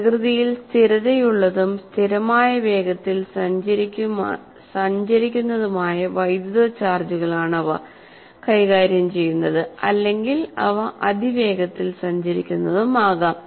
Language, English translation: Malayalam, And electrical charges can be static in nature or they can be moving at a constant velocity or they may be accelerating charges